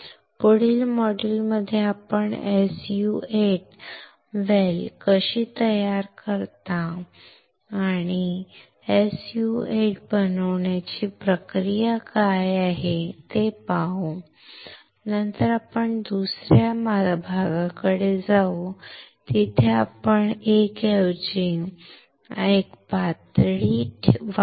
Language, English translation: Marathi, In the next module let us see how we can form the SU 8 well, and what is a process for forming the SU 8 well, and then we will move to the next one where you will level up one more and instead of one mask you use multiple mask or use 2 3 mask